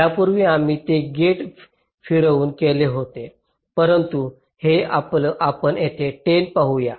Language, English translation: Marathi, earlier we did it by moving a gate around, but here lets see this ten